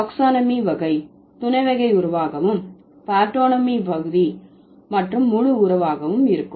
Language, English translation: Tamil, So, taxonomy would be type, subtype relation, okay, and partonomy would be part and whole relation